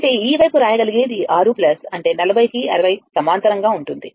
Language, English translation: Telugu, That mean, this side we can write it will be 6 plus that your 40 parallel to 60